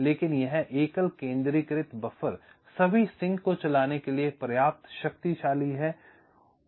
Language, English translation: Hindi, but this single centralized buffer is powerful enough to drive all the sinks